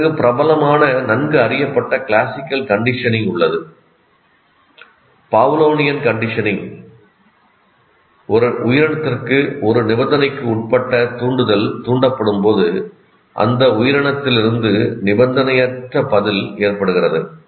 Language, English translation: Tamil, And then you have famous well known classical conditioning, the Pavlovian conditioning it's called, occurs when a conditioned stimulus to an organism prompts an unconditioned response from that organism